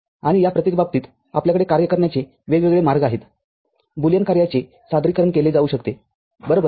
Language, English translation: Marathi, And for each of these cases, we can have many different ways the functions Boolean functions can be represented, right